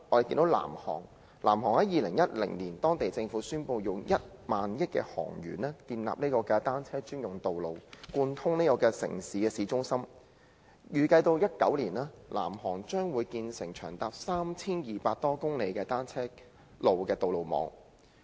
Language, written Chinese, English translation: Cantonese, 在2010年，南韓政府宣布以1萬億韓圜建立單車專用道路，貫通城市市中心，預計到2019年，南韓將會建成長達 3,200 多公里的單車路的道路網。, In 2010 the Government of South Korea announced spending KRW 1,000 billion on the construction of a cycle lane connecting town centres in the city . It is expected that by 2019 a cycle lane network of more than 3 200 km will be completed in South Korea